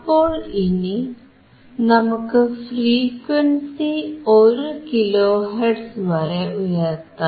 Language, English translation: Malayalam, So now, let us keep increasing the frequency till 1 kilo hertz